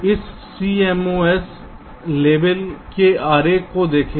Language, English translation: Hindi, so let us look at this cmos level diagram